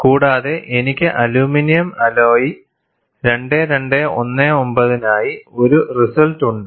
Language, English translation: Malayalam, And people have got this, and I have a result for aluminum alloy 2219